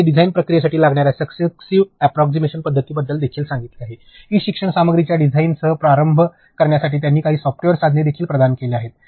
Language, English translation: Marathi, She has also mentioned about successive approximation method for the design process, she has also provided some software tools to get started with the design of the e learning content